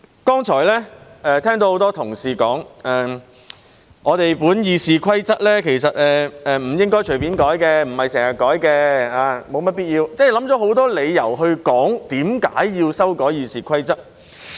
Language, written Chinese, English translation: Cantonese, 剛才聽到很多同事說，我們的《議事規則》其實不應隨便修改，不是經常修改的，沒有甚麼必要也不會修改；他們想出很多理由解釋為何要修改《議事規則》。, Earlier on I heard many colleagues say that our Rules of Procedure RoP was not supposed to be amended casually frequently or unnecessarily . They have come up with many reasons to explain why RoP should be amended